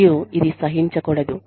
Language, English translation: Telugu, And, should not be tolerated